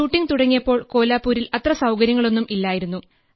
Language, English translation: Malayalam, When I started shooting, there were not that many facilities available in Kolhapur